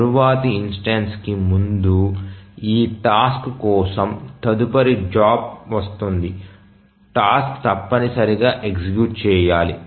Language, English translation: Telugu, So, before the next instance, next job arrives for this task, the task must execute